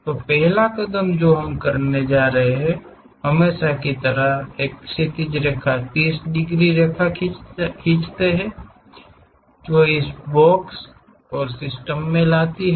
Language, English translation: Hindi, So, the first step what we have to do is as usual, a horizontal line draw 30 degrees lines, that coincides by bringing this box into the system